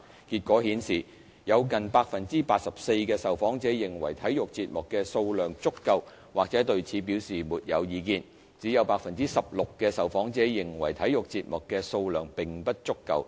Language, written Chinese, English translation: Cantonese, 結果顯示，有近 84% 的受訪者認為體育節目的數量足夠或對此表示沒有意見，只有 16% 的受訪者認為體育節目的數量並不足夠。, The results showed that nearly 84 % of the respondents considered the quantity of sports programmes sufficient or had no comment . Only 16 % of the respondents found it insufficient